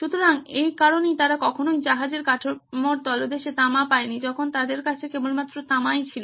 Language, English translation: Bengali, So, that is why they never got copper at the bottom of the hull when they had just copper